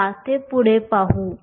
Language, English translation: Marathi, Let us look at that next